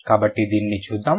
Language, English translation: Telugu, So, let's look at this